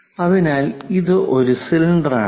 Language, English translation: Malayalam, So, it is a cylindrical one